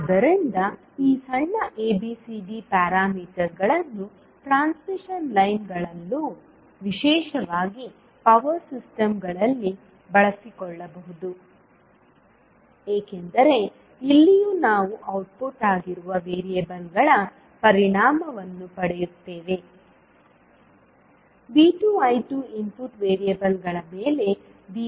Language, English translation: Kannada, So these small abcd parameters can also be utilised in case of the transmission lines particularly the power systems because here also we get the impact of output variables that is V 2 I 2 on the input variables that is V 1 I 1